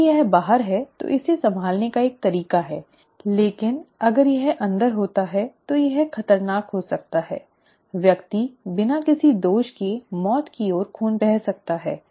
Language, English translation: Hindi, If it is outside, there is a way of handling it but if it happens inside then it can be dangerous, the person can bleed to death for no fault